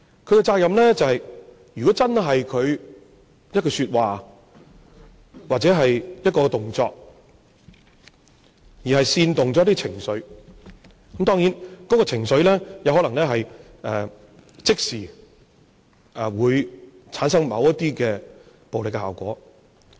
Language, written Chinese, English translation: Cantonese, 他的責任就是，如果因為他一句說話，或者一個動作，而煽動了一些情緒，當然，這個情緒可能會即時產生某些暴力效果。, His responsibility is that if certain emotions are incited by a sentence that he has said or a gesture that he has made these emotions may generate some immediate violent acts